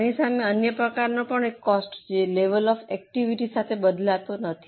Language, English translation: Gujarati, As against this, there is another type of cost which does not change with level of activity